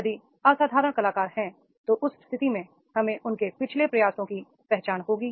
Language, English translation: Hindi, If there are the exceptional performance, then then in that case we will have the recognition of their past efforts